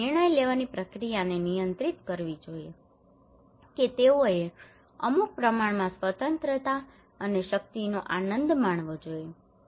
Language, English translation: Gujarati, They should control the decision making process they should enjoy certain amount of freedom and power